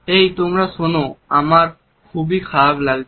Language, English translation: Bengali, Hey, listen guys we feel really terrible